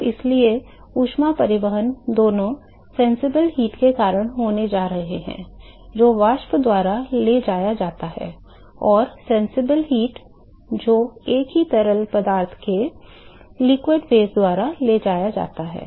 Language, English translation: Hindi, So, therefore, the heat transport is going to be both because of the sensible heat, which is carried by the vapor, and the sensible heat, which is carried by the liquid phase of the same fluid